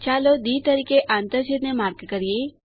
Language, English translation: Gujarati, Lets mark the point of intersection as D